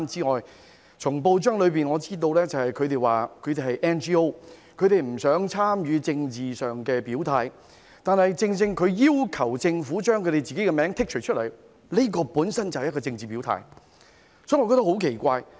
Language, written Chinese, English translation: Cantonese, 我從報章知悉，紅十字會指自己是 NGO， 不想作政治表態，但正正它要求政府把其名稱剔出名單，這本身便是一個政治表態，所以我覺得很奇怪。, From the newspapers I learnt that HKRC said it was a non - governmental organization NGO and did not want to make a political statement but by requesting the Government to remove its name from the list it is precisely a political statement in itself so I found it very strange